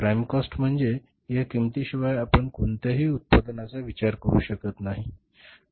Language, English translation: Marathi, Prime cost means without this cost we cannot think of any production